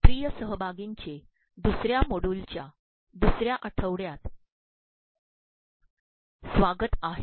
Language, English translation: Marathi, Welcome dear participants to the 2nd module of the 2nd week